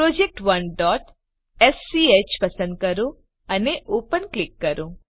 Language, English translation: Gujarati, Select project1.sch and click Open